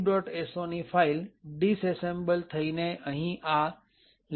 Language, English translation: Gujarati, so disassembly is present in this file libmylib